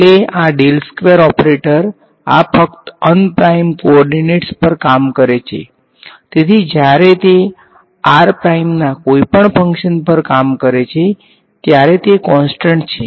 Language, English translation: Gujarati, Finally, this del squared operator this is acting only on unprimed co ordinates ok, so, when it encounters any function of r prime it is a constant right